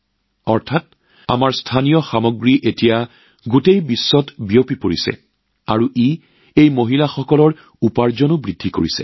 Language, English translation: Assamese, That means our local is now becoming global and on account of that, the earnings of these women have also increased